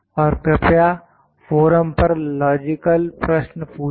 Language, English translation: Hindi, And please do ask the logical questions as well in the forum